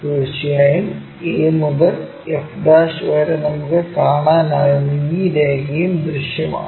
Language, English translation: Malayalam, Definitely, a to f' whatever this line we can see that is also visible